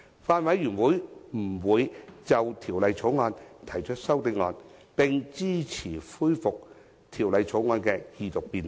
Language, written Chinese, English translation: Cantonese, 法案委員會不會就《條例草案》提出修正案，並支持恢復《條例草案》的二讀辯論。, The Bills Committee will not propose amendments to the Bill and supports the resumption of the Second Reading debate on the Bill